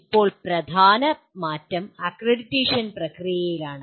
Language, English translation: Malayalam, Now the major change is in the process of accreditation